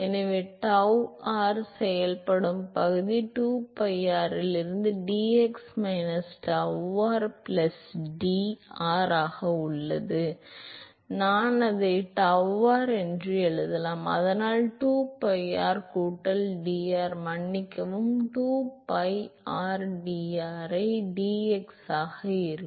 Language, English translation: Tamil, So, the area in which tau r is acting is 2pi r into dx minus tau r plus d r, I can write it as tau r so that will be 2pi r plus dr sorry 2pi rdr into dx